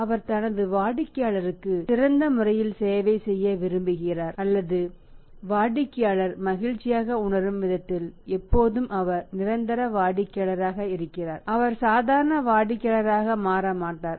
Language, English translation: Tamil, So he would like to serve his customer in the best possible way or in the way in which the customer feels happy and always he remains is permanent customer, he does not become is formal customer